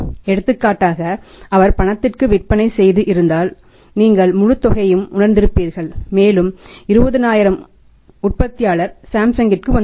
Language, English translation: Tamil, If for example he had been sold the product on cash you would have realize the entire amount and that 20000 would have come to the manufacture to Samsung